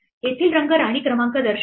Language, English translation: Marathi, The colors here represent the queen numbers